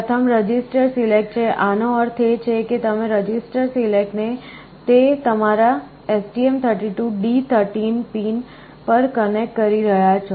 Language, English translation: Gujarati, First one is the register select; that means, you are telling you are connecting register select to your STM32 D13 pin